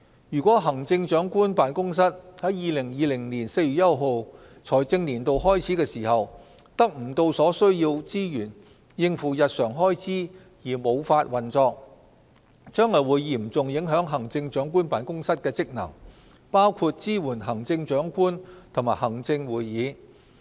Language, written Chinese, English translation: Cantonese, 如果行政長官辦公室在2020年4月1日財政年度開始時，未能得到所需資源應付日常開支而無法運作，將會嚴重影響行政長官辦公室的職能，包括支援行政長官和行政會議。, If the Chief Executives Office cannot obtain the necessary resources by the commencement of the new fiscal year on 1 April 2020 and hence unable to support its daily operation the functions of the Chief Executives Office will be severely impeded including the support it should provide to the Chief Executive and the Executive Council